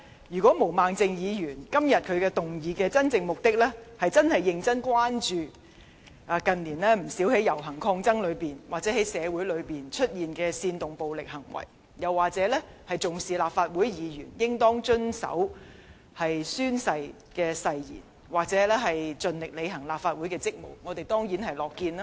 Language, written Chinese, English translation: Cantonese, 如果毛孟靜議員今天動議議案的真正目的，是想認真關注近年不少遊行抗爭期間或在社會上出現煽動暴力行為的現象，或重視立法會議員應當遵守宣誓誓言，盡力履行立法會議員的職務的話，我們當然是樂見的。, If the motion moved by Ms Claudia MO today is really intended to arouse our serious concern about the phenomenon of inciting violence in various demonstrations and protests or in the community over recent years or to attach importance to the requirement that Legislative Council Members should comply with their oaths and diligently discharge their duties as Legislative Council Members we will certainly be glad to see it